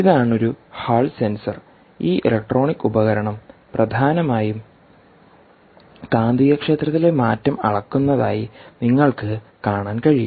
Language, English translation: Malayalam, this is a hall sensor and you can see that this electronic essentially is measuring the magnetic field, the change in magnetic field